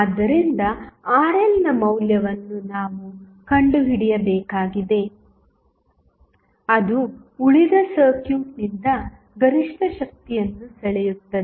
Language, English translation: Kannada, So, we have to find out the value of Rl which will draw the maximum power from rest of the circuit